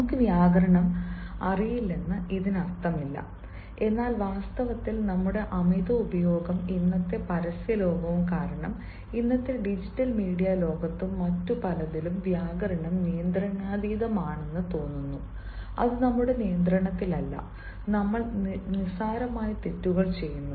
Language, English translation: Malayalam, it doesnt mean that we do not know grammar, but actually it so happens that, because of our over use and in todays world of advertisement, in [tiday/today], todays world of digital media and many others, at times, grammar seems to be out of control, out of our control, and we commit silly mistakes